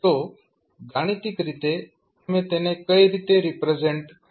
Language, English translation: Gujarati, So, mathematically, how will you represent